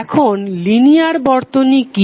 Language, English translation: Bengali, Now what is a linear circuit